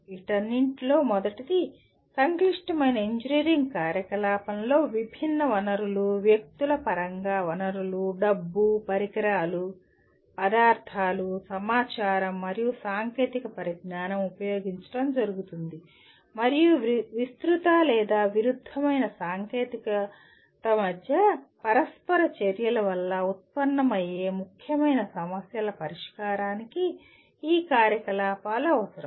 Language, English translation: Telugu, First of all, a complex engineering activity involves use of diverse resources, resources in terms of people, money, equipment, materials, information and technologies and they require the activities involve resolution of significant problems arising from interactions between wide ranging or conflicting technical, engineering or other issues